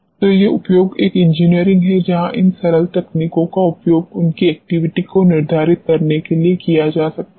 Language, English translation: Hindi, So, these are the applications an engineering where these simple techniques can be utilized to determine their activity